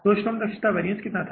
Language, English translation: Hindi, So, labor efficiency variance was how much was the labor efficiency variance